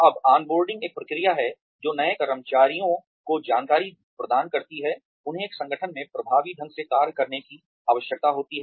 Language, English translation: Hindi, Now, on boarding is a process, that provides new employees with the information, they need to function effectively in an organization